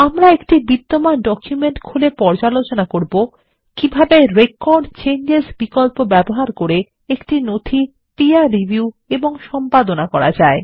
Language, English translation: Bengali, We will open an existing document to explain how to peer review and edit a document using Record Changes option